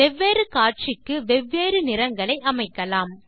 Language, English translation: Tamil, You can customize colours for different displays